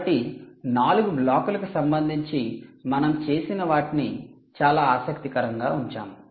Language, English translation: Telugu, so let's put all of what we did with respect to those four blocks into something very, very interesting